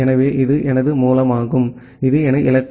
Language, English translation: Tamil, So, this is my source and this is my destination